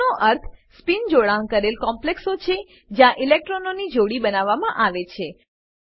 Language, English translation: Gujarati, Low means spin paired complexes where electrons are paired up